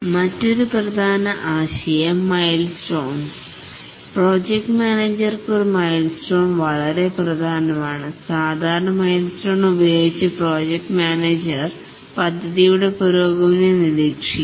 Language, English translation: Malayalam, A milestone is very important for the project manager because using the milestones the project manager keeps track of the progress of the project